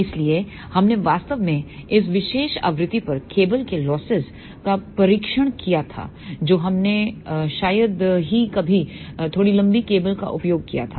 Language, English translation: Hindi, So, we actually tested the cable losses at this particular frequency we hardly had used little longer cable